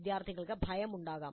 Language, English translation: Malayalam, Students may have that fear